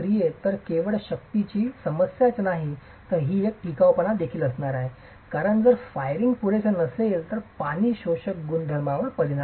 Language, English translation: Marathi, So, it's not only a problem of strength but it's also going to be a problem of durability because water absorption properties are affected if the firing is not adequate